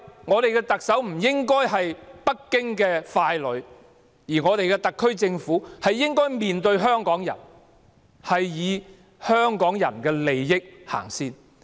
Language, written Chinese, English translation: Cantonese, 香港的特首不應是北京的傀儡，特區政府應面向香港人，以香港人的利益為先。, Hong Kongs Chief Executive should not be a puppet of Beijing and the SAR Government should cater for Hong Kong people and put their interests first